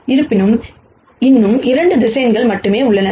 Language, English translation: Tamil, However, there are still only 2 vectors